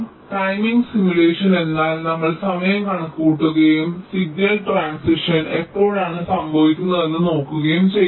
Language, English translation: Malayalam, timing simulation means we simply calculate the times and see when signal transitions are talking place